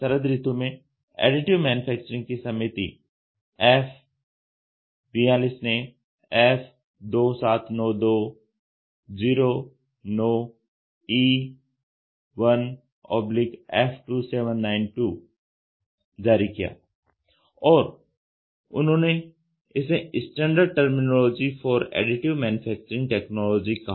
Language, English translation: Hindi, In autumn 2009, the committee F42 on Additive Manufacturing issued F2792 dash 09e1 slash F2792 slash and called it as a Standard Terminology for Additive Manufacturing Technologies they release a standard